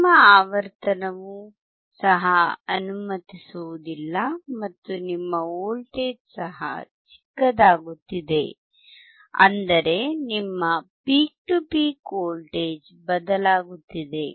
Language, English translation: Kannada, Your frequency is also not allowing and your voltage is also getting smaller and smaller; that means, your peak to peak voltage is getting changed